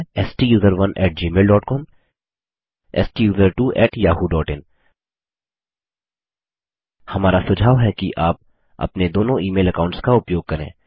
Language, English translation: Hindi, They are: STUSERONE at gmail dot com STUSERTWO at yahoo dot in We recommend that you use 2 of your email accounts